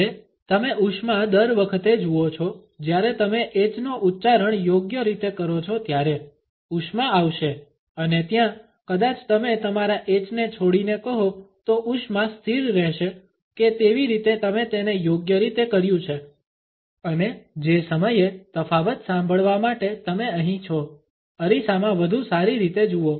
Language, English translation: Gujarati, Now you see that flame every time you pronounce that the h correctly the flame will and there maybe you drop your h the flame will remain stationary that is how you know you done it correctly and time your here for here the difference, see better in the mirror